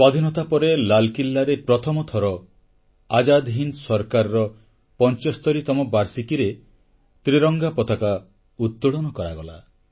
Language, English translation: Odia, After Independence, for the first time ever, the tricolor was hoisted at Red Fort on the 75th anniversary of the formation of the Azad Hind Government